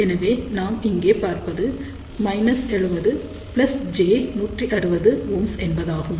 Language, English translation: Tamil, So, we can see here this is minus 70 this is plus j 160 ohm